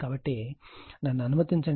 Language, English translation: Telugu, So, let me